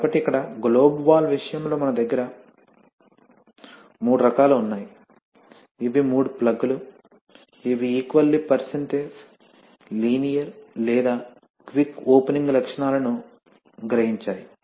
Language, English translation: Telugu, So in the case of the globe valve here, say we have, There are three kinds of, these are three plugs which realize equal percentage, linear or quick opening characteristics